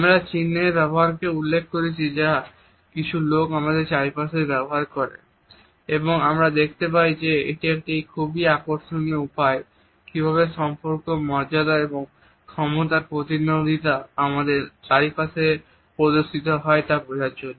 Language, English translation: Bengali, We have referred to the use of markers which some people use around us and we find that it is a very interesting way to understand how the relationships, the status, and power dynamics are displayed around us